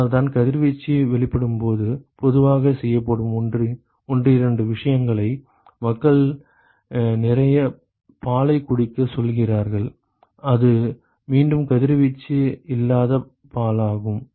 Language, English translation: Tamil, So, that is why when there is a radiation exposure a couple of things that is generally done is, they ask people to drink a lot of milk which is again radiation free milk